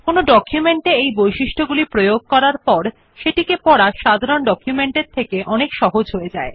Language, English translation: Bengali, Applying these features in the documents make them more attractive and much easier to read as compared to the documents which are in plain text